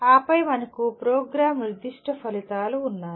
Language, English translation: Telugu, And then we have Program Specific Outcomes